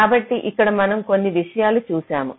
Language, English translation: Telugu, ok, so you see, here we looked at a few things